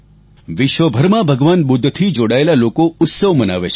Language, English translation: Gujarati, Followers of Lord Budha across the world celebrate the festival